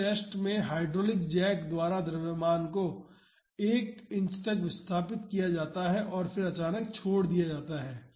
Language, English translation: Hindi, In this test the mass is displaced by 1 inch by a hydraulic jack and then suddenly released